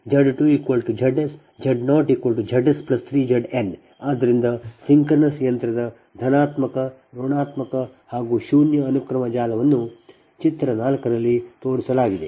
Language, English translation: Kannada, so positive, negative and zero sequence network of the synchronous machine is shown in figure four